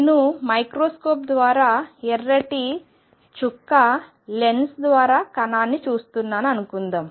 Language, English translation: Telugu, So, consider this suppose I am looking at a particle shown here by a red dot through a microscope is the lens